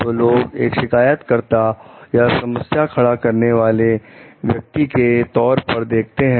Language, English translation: Hindi, So, people may be viewed as complainers or troublemakers